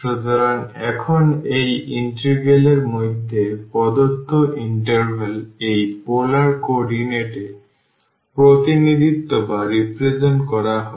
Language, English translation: Bengali, So now, this integral the given interval will be represented in this polar coordinate